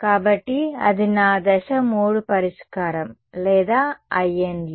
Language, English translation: Telugu, So, that is my step 3 solve or I n’s ok